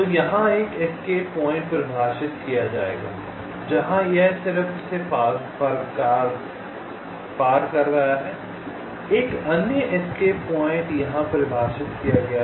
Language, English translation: Hindi, so there will be one escape point defined here, where it is just crossing this, another escape point defined here, just crossing this